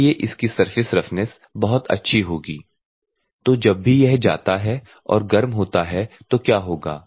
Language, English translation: Hindi, So, this will have good surface roughness whenever this goes and heats; what will happen